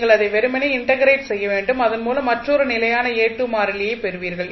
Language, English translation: Tamil, You have to just simply integrate it and you will get another constant a2 because when you integrate you get 1 integration constant also